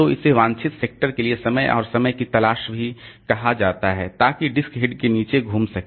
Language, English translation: Hindi, So, this is also called sick time and time for, time for desired sector to rotate under the disk head